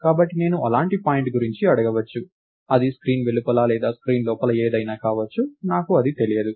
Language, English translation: Telugu, So, I could ask this about any such point, it could be something outside the screen or inside the screen, I don't know